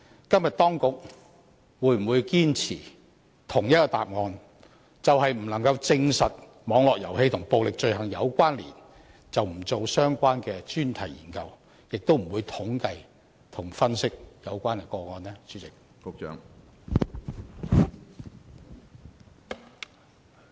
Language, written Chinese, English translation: Cantonese, 今天當局會否堅持相同的答覆，便是基於不能證實網絡遊戲和暴力罪行有關，而不進行相關的專題研究，亦不會統計和分析有關的個案呢？, For now will the authorities still stick by its previous reply and deny conducting a focus study and carrying out a statistical study and analysis on the grounds that the correlation between online games and violent crimes cannot be established?